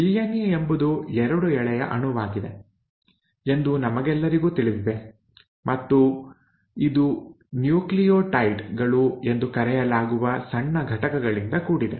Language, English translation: Kannada, Now we all know that DNA is a double standard molecule and it is made up of smaller units which are called as the nucleotides